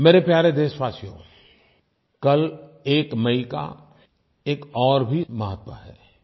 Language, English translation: Hindi, My dear countrymen, tomorrow, that is the 1st of May, carries one more significance